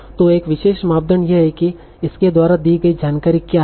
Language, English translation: Hindi, So one particular criteria is what is the information gain by this